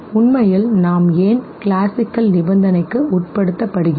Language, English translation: Tamil, The fact as to why is it that we get classically conditioned